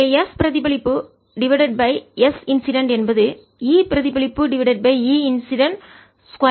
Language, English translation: Tamil, so s reflected divided by s incident is going to be e reflected over e incident square